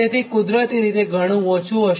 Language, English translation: Gujarati, so naturally this much will be reduce